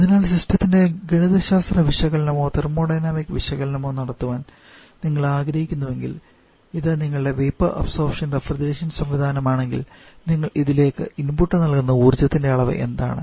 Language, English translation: Malayalam, So, if you quickly want to perform mathematical analysis or thermodynamic of the system if you take this is your vapour absorption refrigeration system then what are the amount of energy that you are giving input to this